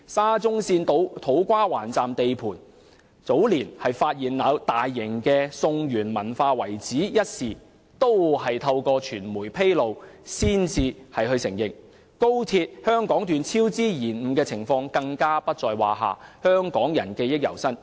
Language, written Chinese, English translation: Cantonese, 沙中線土瓜灣站地盤早年發現大型的宋元文化遺址一事，亦是由傳媒率先披露。高鐵香港段工程超支延誤的情況更不在話下，香港人記憶猶新。, The discovery of the extensive cultural remains dating back to the Song - Yuan period at the SCL To Kwa Wan Station construction site a few years back was also first revealed by the media not to mention the cost overruns and delays in the XRL Hong Kong Section project which are still fresh in the minds of Hong Kong people